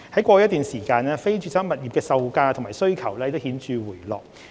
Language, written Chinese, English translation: Cantonese, 過去一段時間，非住宅物業的售價及需求已顯著回落。, Prices and demand for non - residential properties have been dropping notably over a period of time